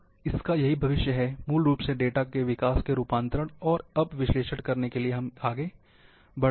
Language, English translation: Hindi, So, this is the future, from basically data, generation, conversion, to now analysis in which we are moving